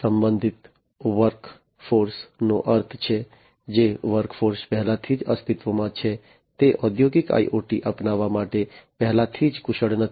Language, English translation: Gujarati, Constrained work force means, the work force that that is already existing is not already skilled to adopt industrial IoT